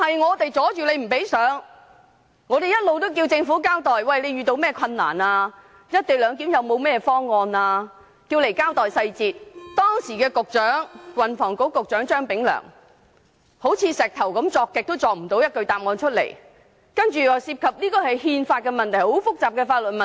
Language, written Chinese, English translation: Cantonese, 我們一直要求政府交代"一地兩檢"方案的細節。但當時的運輸及房屋局局長張炳良堅拒提供答案，只是說這涉及憲法和很複雜的法律問題。, We have been asking the Government to explain the details of the co - location arrangement but the then Secretary for Transport and Housing Prof Anthony CHEUNG refused to provide the details saying that the proposal involved the constitution and very complicated legal problems